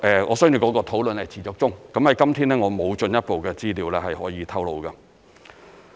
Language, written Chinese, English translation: Cantonese, 我相信討論是持續中，今天我沒有進一步的資料可以透露。, I believe the discussion is still underway and I have no further information to disclose today